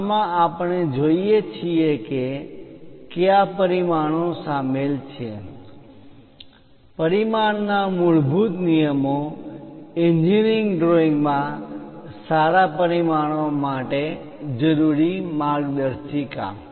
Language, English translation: Gujarati, In this, we look at what are the dimensions involved, fundamental rules of dimensioning, guidelines required for good dimensioning in engineering drawings